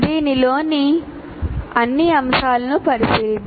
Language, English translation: Telugu, Let us look at all the elements of this